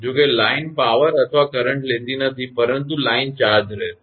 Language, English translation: Gujarati, Although line is not carrying power or current, but line will remain charged